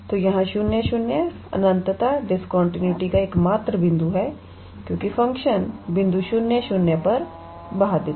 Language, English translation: Hindi, So, here 0 0 is the only point of infinite discontinuity because the function is unbounded at the point 0, 0